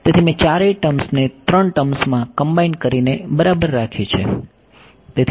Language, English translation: Gujarati, So, I have taken care of all four terms combined into three terms ok